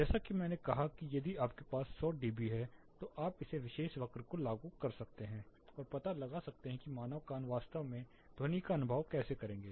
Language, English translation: Hindi, As I said if you have 100 dB you can apply this particular curve and find out how human ear would actually perceive the sound